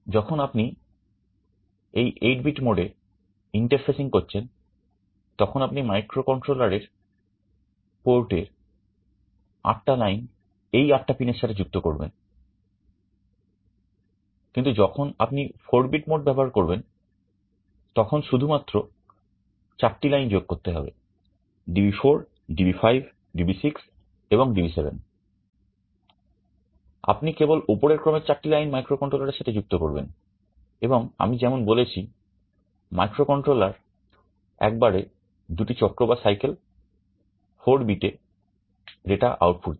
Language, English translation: Bengali, When you are interfacing in the 8 bit mode, you will be connecting 8 lines from the microcontroller port to these 8 pins, but when you are using the 4 bit mode then you need to connect only 4 of these lines D4, DB5, DB6 and DB7, you only connect the high order 4 lines to the microcontroller; and as I said the microcontroller will be outputting the data in 2 cycles, 4 bits at a time